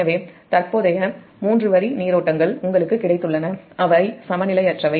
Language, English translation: Tamil, so three current three line currents you have got, and they are unbalanced